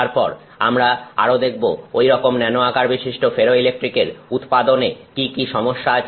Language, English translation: Bengali, We will also then look at what are the challenges in producing such nano sized ferroelectrics